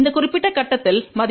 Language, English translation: Tamil, At this particular point the value is 1 plus j 1